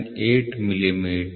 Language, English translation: Kannada, 998 millimeter, ok